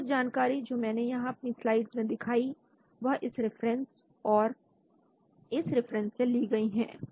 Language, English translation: Hindi, So some of the information which I have shown in the slides taken from this reference as well as from this reference